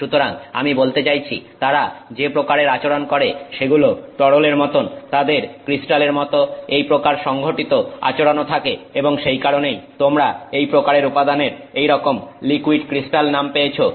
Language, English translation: Bengali, I mean so, so they have behavior that is similar to liquids, they also have this organized behavior similar to crystals and that is why you get this name liquid crystal for this kind of a material